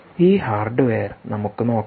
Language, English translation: Malayalam, let us look at this hardware